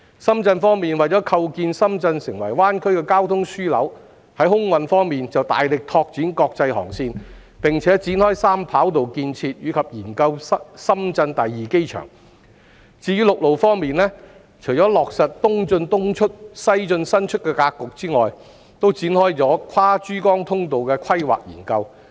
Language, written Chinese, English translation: Cantonese, 深圳為構建深圳成為灣區的交通樞紐，在空運方面，大力拓展國際航線，並展開三跑道建設，以及研究深圳第二機場；至於陸路方面，除落實"東進東出、西進西出"的格局外，還開展跨珠江通道的規劃研究。, In order to build itself as the transportation hub of GBA Shenzhen has been vigorously expanding its international air routes commencing the construction of three runways and conducting studies on its second airport; regarding land routes apart from implementing the East in East out West in West out pattern Shenzhen has also commenced the planning study on the cross - Pearl River corridor